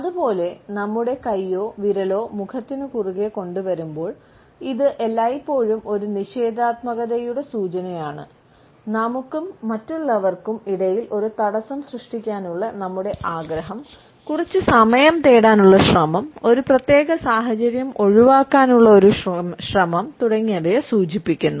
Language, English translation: Malayalam, Similarly, we find that when we bring our hand or our finger across our face, etcetera, it is always an indication of a negativity, of our desire to create a barrier between us and other people an attempt to seek some more time, an attempt to avoid a particular situation